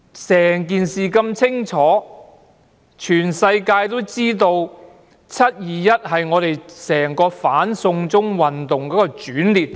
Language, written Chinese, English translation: Cantonese, 整件事十分清楚，全世界皆知道"七二一"事件是整場"反送中"運動的轉捩點。, The entire incident is crystal clear and the whole world knows that the 21 July incident is the turning point in the whole anti - extradition to China movement